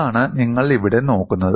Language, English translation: Malayalam, That is what you see here